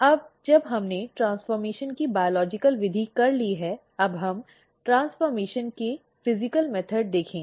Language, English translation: Hindi, Now, we are done with the biological method of transformation then, now we will see the physical method of transformation